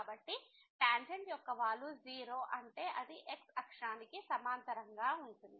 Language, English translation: Telugu, So, the slope of the tangent is meaning it is parallel to the